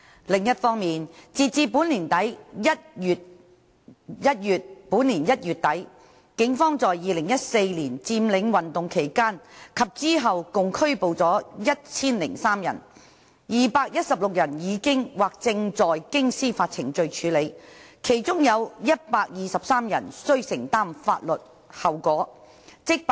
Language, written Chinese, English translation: Cantonese, 另一方面，截至本年1月底，警方在2014年佔領運動期間及之後共拘捕了1003人 ，216 人已經或正在經司法程序處理，其中有123人須承擔法律後果。, On the other hand as at the end of January this year a total of 1 003 persons were arrested by the Police during and after the occupation movement in 2014 and 216 arrestees have undergone or are undergoing judicial proceedings . Among them 123 persons have to bear legal consequences